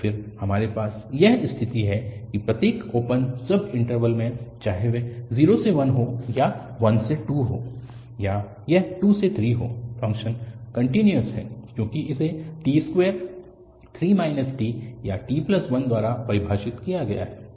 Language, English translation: Hindi, So again, we have the situation that in each open subinterval whether it is 0 to 1 or it is 1 to 2 or it is 2 to 3, the function is continuous because it is defined by t square, 3 minus t and t plus 1